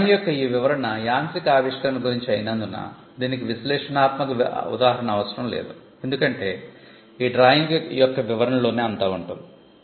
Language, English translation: Telugu, Now, this description of the drawing because it is a mechanical invention, there is no illustration required because the description of the drawing itself describes it